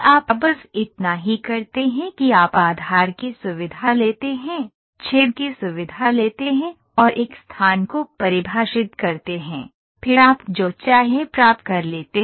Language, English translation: Hindi, All you do is you take the base feature, take the hole feature and define a locating points, then you get whatever you want